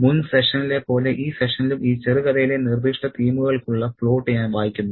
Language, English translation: Malayalam, So, in this session too, like in the previous session, I would be reading the plot for specific themes in this short story